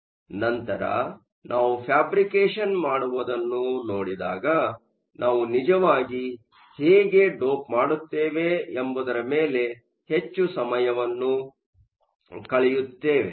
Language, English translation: Kannada, So, later when we look at the fabrication part, we will spend some more time on how we actually dope